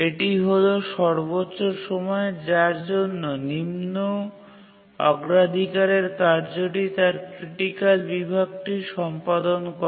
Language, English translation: Bengali, We can restrict the time for which a low priority task uses its critical section